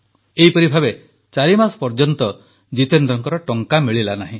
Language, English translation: Odia, This continued for four months wherein Jitendra ji was not paid his dues